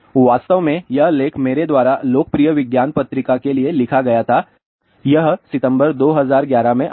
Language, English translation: Hindi, In fact, this article was writ10 by me for popular science magazine it came in September 2011